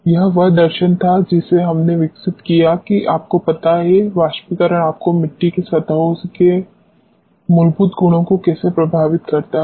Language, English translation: Hindi, This was the philosophy which we developed to see how evaporation affects you know the fundamental properties of the clay surfaces